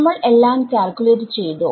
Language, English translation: Malayalam, Have we calculated everything